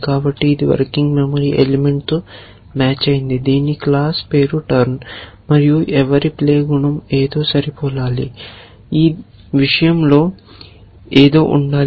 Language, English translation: Telugu, So, it was match a working memory element whose class name is turn and whose to play attribute must match something, there must be something in the these thing